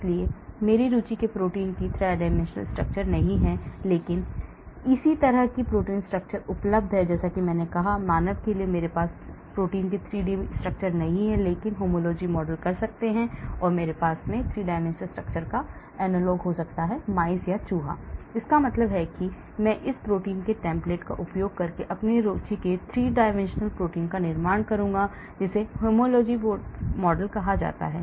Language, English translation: Hindi, so if the 3 dimensional structure of the protein of my interest is not there, but similar protein structure are available like I said, for human I might not have the 3D structure of that protein, but I may have the 3D structure analogues to a rat or a mouse then what I do is, I do a homology model